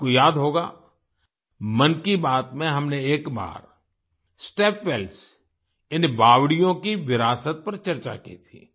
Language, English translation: Hindi, You will remember, in 'Mann Ki Baat' we once discussed the legacy of step wells